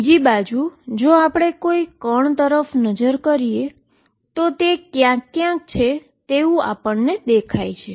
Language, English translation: Gujarati, On the other hand if you look at a particle, it is look like somewhere